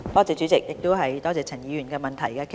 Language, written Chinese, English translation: Cantonese, 主席，多謝陳議員的補充質詢。, President I thank Mr CHAN for his supplementary question